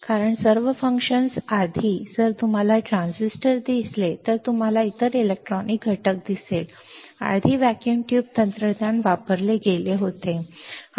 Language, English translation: Marathi, Because all the functions earlier, if you see the transistors if you see the other electronic components earlier vacuum tube technology was used